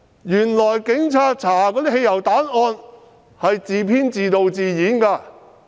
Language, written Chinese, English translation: Cantonese, 原來警察調查的汽油彈案件是自編、自導、自演的。, It is found that a petrol bomb case under investigation by the Police is a play written directed and performed by the Police